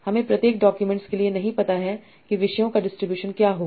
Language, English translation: Hindi, I do not know for each document what will be the distribution of topics